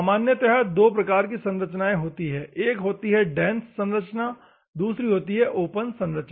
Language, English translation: Hindi, Normally, there are two varieties of structures; one is a dense structure; another one is an open structure